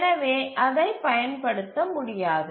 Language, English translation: Tamil, That is why it is not used